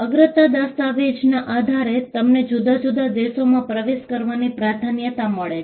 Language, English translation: Gujarati, Based on the priority document, you get a priority and then you enter different countries